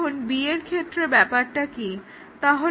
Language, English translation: Bengali, Now, what about B